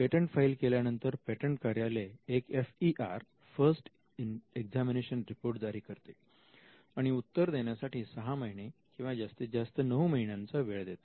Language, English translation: Marathi, When it gets into examination, the patent office issues and FER, the first examination report which gives just 6 months or at best 9 months to reply